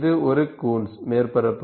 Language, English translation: Tamil, What we get is a Coons surface